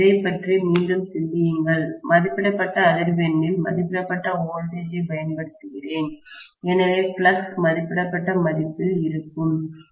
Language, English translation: Tamil, Think about it again, I am applying rated voltage at rated frequency, so the flux will be at rated value, are you getting my point